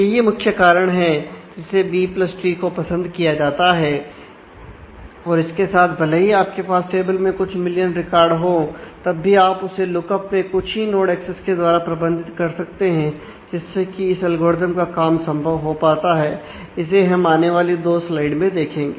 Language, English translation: Hindi, So, this is the core reason that B + trees are preferred and with this if even, when you have couple of million records in a in a table you can actually manage with a very small number of node accesses for the lookup, which makes the realization of algorithms possible in the next couple of slides